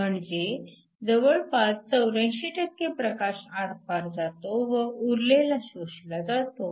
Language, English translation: Marathi, 05 so nearly 84 % of the light is transmitted while the rest is absorbed